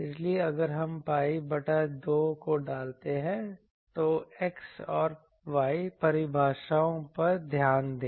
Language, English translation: Hindi, So, in if we put pi by 2, let us look at X and Y definitions